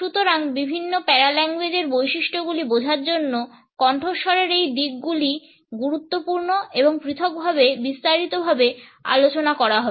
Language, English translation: Bengali, So, these aspects of voice are important in order to understand different paralinguistic features and would be taken up in detail individually